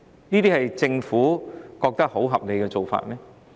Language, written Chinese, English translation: Cantonese, 難道政府認為這是合理的做法嗎？, Is this humane? . Does the Government think that this is a reasonable arrangement?